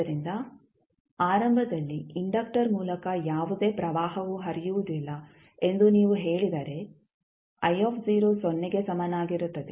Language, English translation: Kannada, So, if you say that initially the there is no current flowing through the inductor that means I naught equals to 0